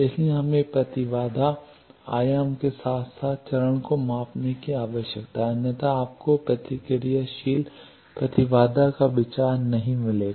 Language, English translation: Hindi, So, we need to measure the impedance amplitude as well as phase, otherwise you would not get the idea of the reactive impedance